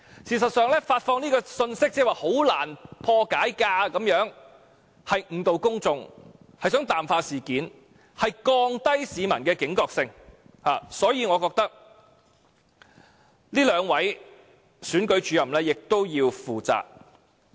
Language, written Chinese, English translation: Cantonese, 事實上，發放"很難破解"的信息是誤導公眾，想淡化事件，降低市民的警覺性，所以我覺得這兩位選舉主任亦要負責。, It tries to water down the incident and lower the alertness of the public to the matter . I thus think that the two Electoral Officers should also take responsibilities for the incident